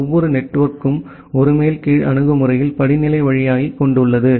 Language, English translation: Tamil, Every network has this way the hierarchical way in a top down approach